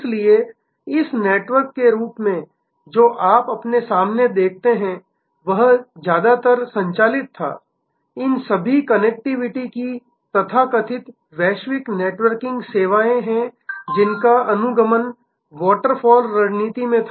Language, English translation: Hindi, So, as a result this network that you see in front of you was driven mostly, all these connectivity’s are the so called global networking of services happened following in almost waterfalls strategy